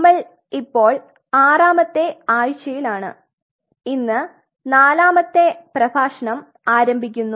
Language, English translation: Malayalam, So, we are into the week 6 and we are starting our fourth lecture